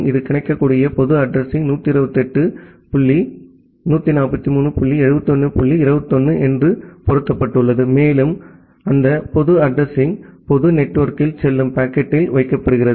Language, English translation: Tamil, It is mapped to one of the available public address which is 128 dot 143 dot 71 dot 21 and that public address is put to the packet which is going in the public network